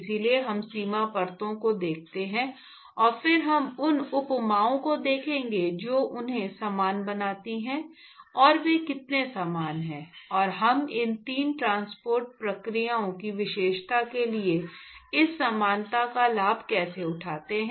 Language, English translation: Hindi, So, we look at boundary layers, and then we will look at analogies what makes them similar and how similar they are, and how do we take advantage of this similarity to characterize these three transport processes